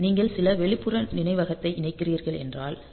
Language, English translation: Tamil, So, if you are connecting some external memory then this 8